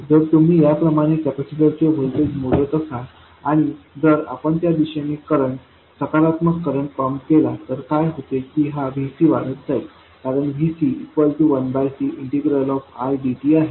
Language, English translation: Marathi, If you are measuring the voltage of the capacitor like this and if you pump a current, positive current in that direction, what happens is this VC will go on increasing